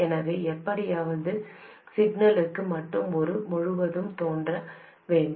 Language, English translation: Tamil, So, somehow only for signals it should appear across this